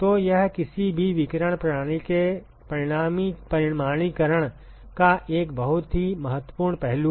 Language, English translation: Hindi, So, this is a very important aspect of quantification of any radiation system